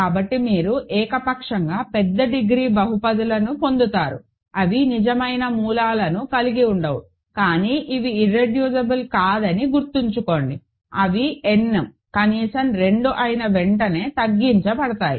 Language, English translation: Telugu, So, you get arbitrarily large degree polynomials, which are which do not have real roots, but remember these are not irreducible, they are reducible as soon as n is at least 2